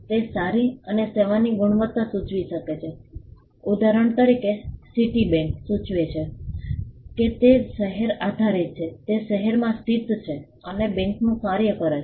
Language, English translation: Gujarati, It can suggest the quality of a good or a service; for instance, Citibank it suggests that it is city based it is based in a city and it does the function of a bank